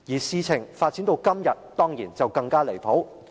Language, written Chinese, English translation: Cantonese, 事情發展至今天，當然是更加離譜。, The developments hitherto have been even more ridiculous